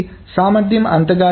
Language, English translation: Telugu, So, the efficiency is not much